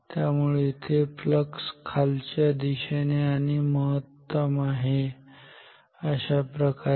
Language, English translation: Marathi, So, here the flux will be downwards and maximum like this